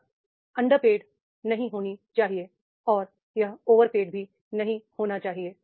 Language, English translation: Hindi, It should not be underpaid and it should not be overpaid